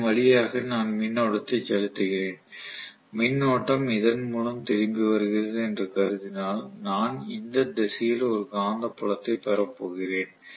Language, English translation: Tamil, If I assume that I am pumping in the current through this and the current is returning through this whatever, I am going to get a magnetic field in this direction, what do I do mean by that